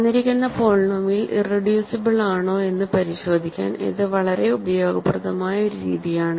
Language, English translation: Malayalam, It is a very useful method to check if a given polynomial is irreducible or not